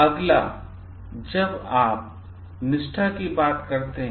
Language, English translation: Hindi, Next when you talk of loyalty